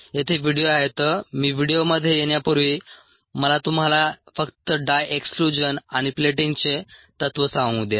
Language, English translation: Marathi, before get in to the videos, let me just tell you the principle of ah, dye exclusion and plating